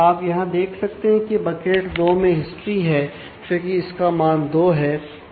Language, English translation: Hindi, So, you can see here in bucket 2 since history has value 2